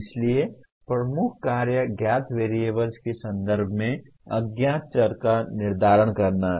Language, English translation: Hindi, So the major task is to determine the unknown variables in terms of known variables